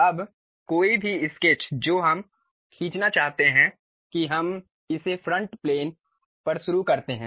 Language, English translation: Hindi, Now, any sketch we would like to draw that we begin it on front plane